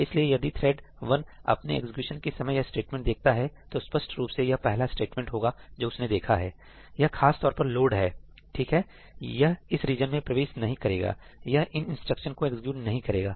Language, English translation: Hindi, So, if thread 1 during its execution encounters this statement; obviously, this is the first statement it will encounter this particular ëloadí, right it will not enter this region; it will not execute these instructions